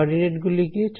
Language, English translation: Bengali, What are the coordinates